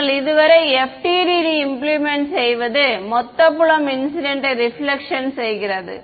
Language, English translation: Tamil, We are not, so far, going into FDTD implementation just total field is incident plus reflected